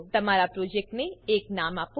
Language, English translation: Gujarati, Give your project a name